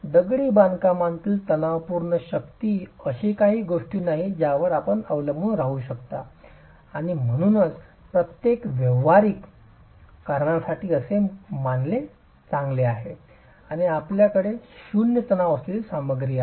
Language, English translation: Marathi, The masonry tensile strength is not something that you can depend on and hence for most practical purposes it's good to assume that you have a zero tension material